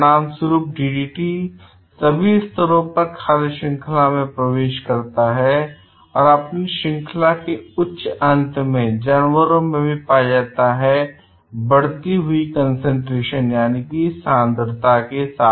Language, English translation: Hindi, As a result, DDT enters into the food chain at all levels with increasing concentration in animals at a higher end of the chain